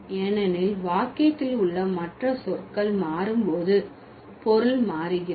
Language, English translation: Tamil, Because the meaning changes when the rest of the words in the sentence change